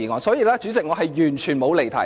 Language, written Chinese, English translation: Cantonese, 所以，主席，我完全沒有離題。, Therefore President I have in no way digressed